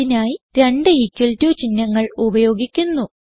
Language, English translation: Malayalam, To do that, we use two equal to symbols